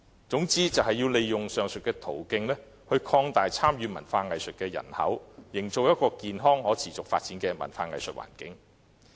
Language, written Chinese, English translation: Cantonese, 總之，要利用上述途徑擴大參與文化藝術的人口，營造一個健康可持續發展的文化藝術環境。, All in all they should use the aforesaid means to enlarge the participant population of arts and culture and create an environment for the healthy and sustainable growth of arts and culture